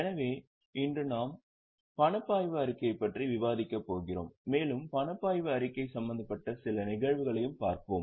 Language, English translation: Tamil, So, today we are going to discuss the cash flow statement and we will also take a look at a few cases involving cash flow statement